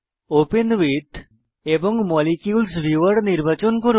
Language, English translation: Bengali, Select the option Open With Molecules viewer